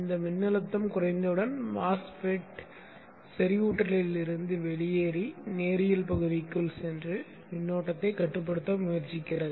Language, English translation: Tamil, Once this voltage comes down, MOSFET comes out of saturation goes into the linear region and tries to limit the current flow here